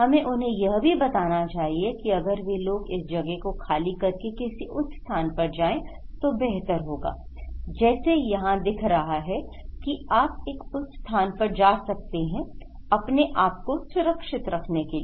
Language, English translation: Hindi, We should also tell them that if they can evacuate to a higher place like these people is showing that okay, you can go to a higher place to protect yourself okay